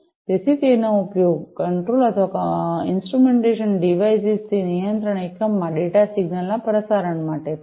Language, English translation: Gujarati, So, it is used for transmission of data signal from the control or instrumentation devices to the control unit